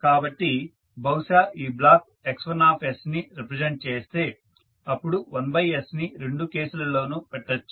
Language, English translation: Telugu, So, say if this block is representing x1s so 1 by s you can put in both of the cases